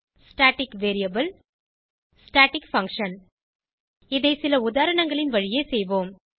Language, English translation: Tamil, Static variable Static function We will do this through an examples